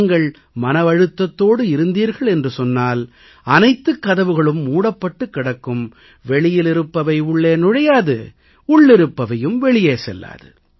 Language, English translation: Tamil, If you are tense, then all the doors seem to be closed, nothing can enter from outside and nothing can come out from inside